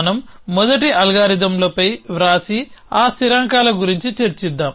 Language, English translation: Telugu, So, let us first write down on the algorithms and then will discuss for those constants